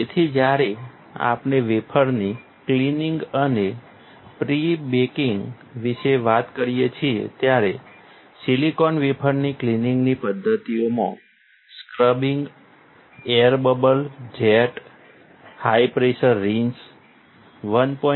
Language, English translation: Gujarati, So, when we talk about wafer cleaning and pre baking, silicon wafer cleaning methods are scrubbing, air bubble jet, high pressure rinse, sonication at 1